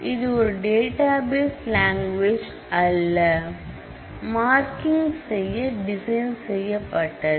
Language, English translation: Tamil, It was not designed as a database language, it was designed for marking up